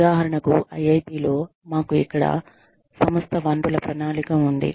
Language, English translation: Telugu, For example, we have enterprise resource planning here, in IIT